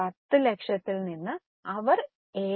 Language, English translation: Malayalam, From 10 lakhs, they will give 7